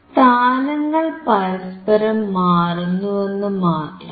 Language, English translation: Malayalam, Just interchange the position